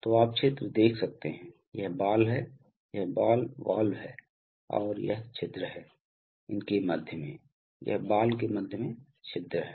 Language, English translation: Hindi, So you can see the hole, this is the ball, these ball valves and this is the hole through them, this is the hole through the ball